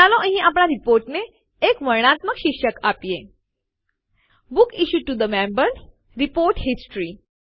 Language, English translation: Gujarati, Let us give a descriptive title to our report here: Books Issued to Members: Report History